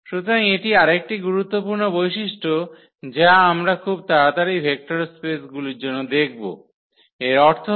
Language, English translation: Bengali, So, that is another important property which we can quickly look for the vector spaces; that means, this F 0 must be equal to 0